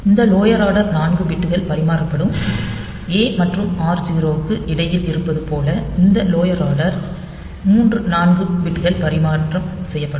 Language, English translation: Tamil, So, this lower order 4 bits will be exchanged, like between a and r 0 this lower order 3 4 bits will get exchanged ok